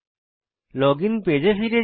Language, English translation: Bengali, Come back to the login page